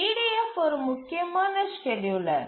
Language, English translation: Tamil, EDF is an important scheduler